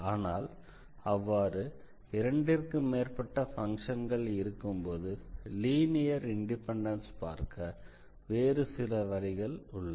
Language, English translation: Tamil, So, there are some other ways to prove the linear independence of the solutions when they are more than two functions